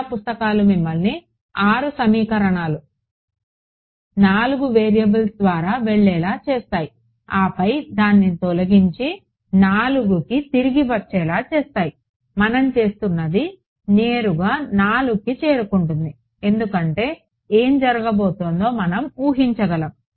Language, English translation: Telugu, Most of the books will make you go through 6 equations, 4 variables and then eliminate and come back to 4 what we are doing is directly arriving at 4 because we can anticipate what is going to happen ok